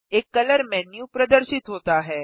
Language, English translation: Hindi, A color menu appears